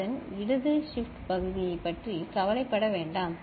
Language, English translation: Tamil, do not worry about the left shift part of it ok